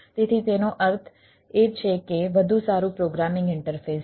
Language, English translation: Gujarati, so it is much means better programming interface is there